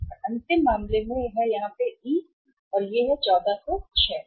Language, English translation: Hindi, And in the last case E here E so it was 1406